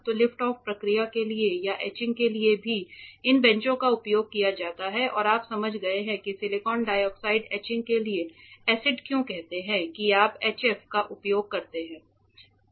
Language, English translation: Hindi, So, for lift off processes or for etching also these benches can be used and you understood why so acids say for silicon dioxide etching you use HF ok